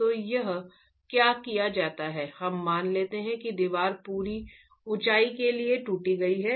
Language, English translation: Hindi, So what is done here is we assume that the wall is cracked for the full height